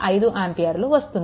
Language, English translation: Telugu, 5 ampere, right